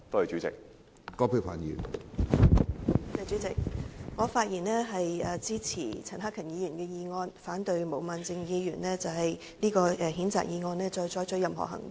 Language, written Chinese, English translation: Cantonese, 主席，我發言支持陳克勤議員的議案，反對就毛孟靜議員的譴責議案再採取任何行動。, President I speak in support of the motion proposed by Mr CHAN Han - kan objecting to any further action to be taken on the censure motion moved by Ms Claudia MO